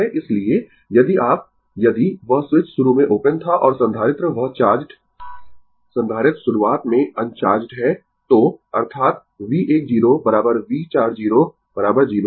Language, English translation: Hindi, So, if you if that the switch was initially open right and capacitor that your charged capacitors are initially uncharged right, so; that means, V 1 0 is equal to your V 4 0 is equal to 0